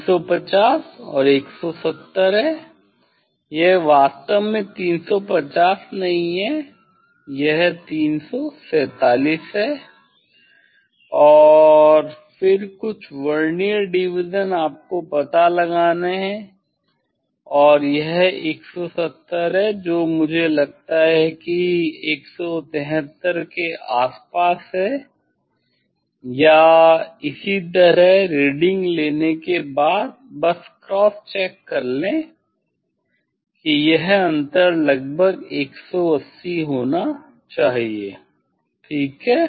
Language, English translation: Hindi, 350 and 170, it is not exactly 350, it is the 347 and then some Vernier constant one have to find out and this is 170 I think around 173 or like this after taking reading just cross check, that it should be approximately 180 difference ok, take the Vernier reading carefully